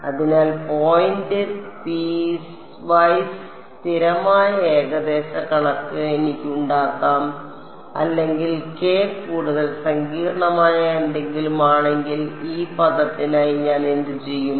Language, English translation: Malayalam, So, point piecewise constant approximation I can make for or if k is something more complicated there is no problem what will I do for this term